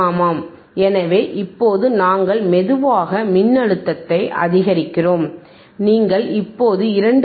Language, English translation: Tamil, Yeah, so now we are slowly increasing the voltage, you can see now 2